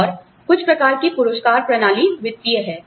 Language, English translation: Hindi, And, some types of rewards systems, that are, there are financial